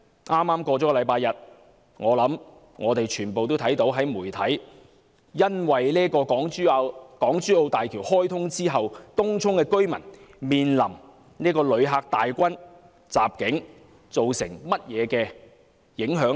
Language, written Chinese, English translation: Cantonese, 在剛過去的星期日，相信大家也從媒體看到，在港珠澳大橋開通後，東涌居民在"旅客大軍"襲境下如何受影響。, In the past Sunday I believe Members must have seen from the media how residents in Tung Chung were affected by the flocks of visitors swamping in after the opening of HZMB